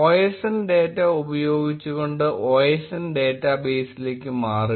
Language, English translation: Malayalam, Switch to osn database by using osndata